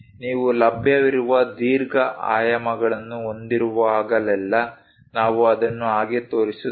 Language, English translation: Kannada, Whenever you have available long dimensions, we show it like over that